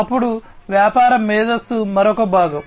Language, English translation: Telugu, Then business intelligence is another component